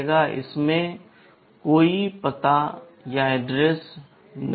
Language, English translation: Hindi, It does not contain any address